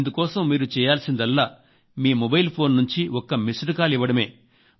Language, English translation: Telugu, All you have to do is just give a missed call from your mobile phone